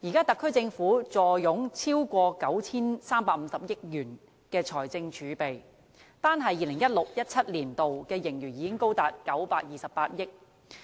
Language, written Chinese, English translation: Cantonese, 特區政府現時坐擁超過 9,350 億元的財政儲備，單是 2016-2017 年度的盈餘已經高達928億元。, At present the Special Administrative Region SAR Government is sitting on more than 935 billion of fiscal reserves and the surplus in 2016 - 2017 alone amounts to 92.8 billion